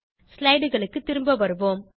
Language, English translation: Tamil, Come back to the slides